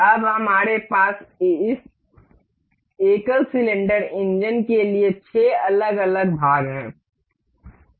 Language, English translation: Hindi, Now, we have the 6 different parts for this single cylinder engine